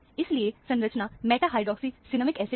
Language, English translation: Hindi, So, the structure has to be the meta hydroxy cinnamic acid